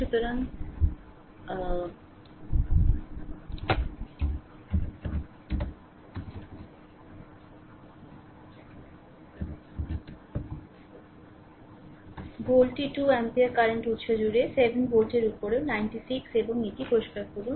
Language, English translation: Bengali, So, volt is across 2 ampere current source also 96 upon 7 volt right and let me clear it